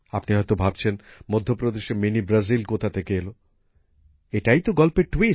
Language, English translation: Bengali, You must be thinking that from where Mini Brazil came in Madhya Pradesh, well, that is the twist